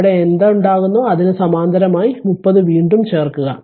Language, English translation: Malayalam, Whatever will be there you add it with that 30 30 again is in parallel to that right